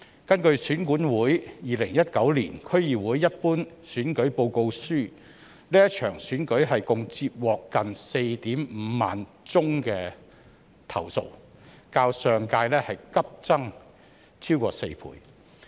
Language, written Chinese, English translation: Cantonese, 根據選舉管理委員會《2019年區議會一般選舉報告書》，這場選舉共接獲近 45,000 宗投訴，較上屆急增逾4倍。, According to the Electoral Affairs Commissions Report on the 2019 District Council Ordinary Election nearly 45 000 complaints about the election were received in total a sharp increase of more than four times as compared to the previous one